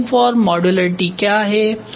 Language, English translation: Hindi, What is the design for modularity